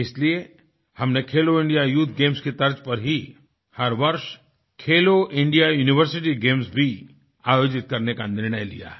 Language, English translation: Hindi, Therefore, we have decided to organize 'Khelo India University Games' every year on the pattern of 'Khelo India Youth Games'